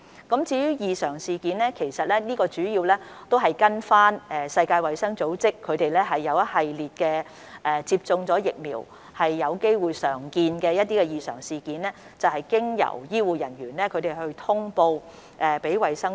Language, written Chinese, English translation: Cantonese, 所謂的"異常事件"，主要是根據世衞所列出一系列接種疫苗後有機會常見的異常情況，須由醫護人員通報衞生署。, Adverse events mainly involve a series of common post - vaccination abnormalities set out by WHO which require notification to DH by medical personnel